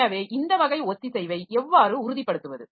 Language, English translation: Tamil, Now, how do you ensure that this type of synchronization